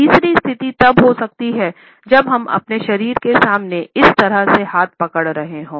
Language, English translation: Hindi, The third position of clenched hands can be when we are holding hands in this manner in front of our body